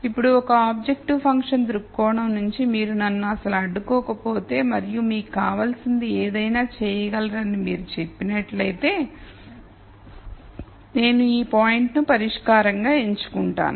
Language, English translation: Telugu, Now from an objective function viewpoint if you did not constrain me at all and you said you could do anything you want, then I would pick this point as a solution